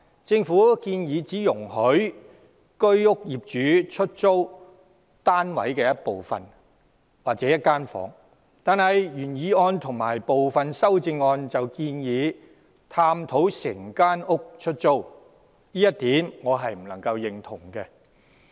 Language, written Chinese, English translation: Cantonese, 政府建議只容許居屋業主出租單位一部分或一間房，但原議案及部分修正案建議探討整間屋出租，我不能贊同這一點。, While owners of Home Ownership Schemes HOS flats are allowed to let part or a room of their flats under the government proposal the original motion and some of the amendments propose a study on the possibility of letting entire flats